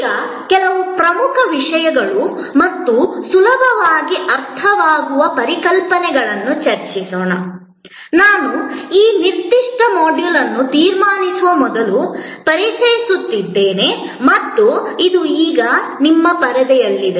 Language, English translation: Kannada, Now, few important things and easily understood concepts, I will introduce before I conclude this particular module and that is on your screen right now